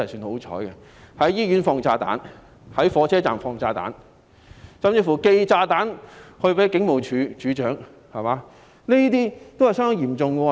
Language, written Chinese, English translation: Cantonese, 有人在醫院放炸彈，在火車站放炸彈，甚至寄炸彈給警務處處長，這些均是相當嚴重的罪行。, Bombs were placed in a hospital train stations and even sent to the Commissioner of Police . These were all rather serious crimes